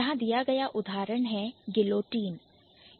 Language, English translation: Hindi, The example given here is guillotine